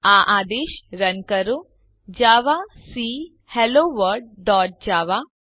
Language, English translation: Gujarati, Run the command javac HelloWorlddot java